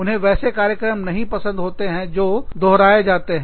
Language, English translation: Hindi, They do not like programs, that are repetitive